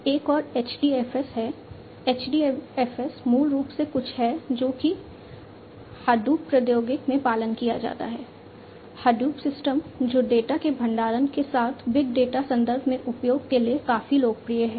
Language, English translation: Hindi, Another one is HDFS, HDFS is basically something that is followed in the Hadoop technology, Hadoop system, which is quite popular for use with storage of data, in the big data context